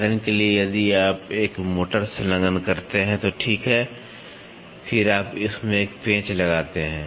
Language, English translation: Hindi, For example, if you attach a motor, right and then you attach a screw to it